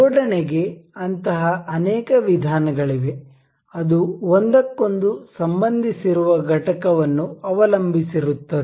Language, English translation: Kannada, There are multiple such methods of assembly that which depend on the component being related to one another